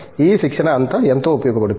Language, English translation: Telugu, All these training will be of a great use